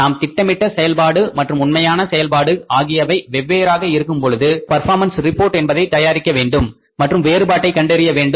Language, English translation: Tamil, When the planned and the actual performances are different, we have to prepare the performance reports and find out the variances